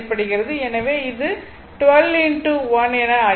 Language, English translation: Tamil, So, it will be 2